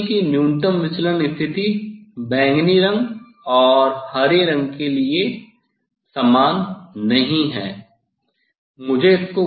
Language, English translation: Hindi, You see the minimum deviation position is not same for violet colour and the green colour